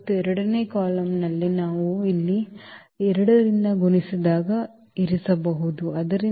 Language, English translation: Kannada, And in the second column we can place for instance we multiplied by 2 here, so 8 and 2